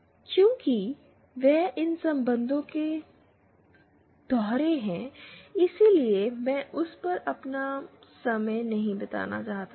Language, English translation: Hindi, Since they are the dual of these relations, I do not want to spend my time on that